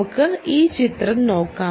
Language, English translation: Malayalam, keep this picture in mind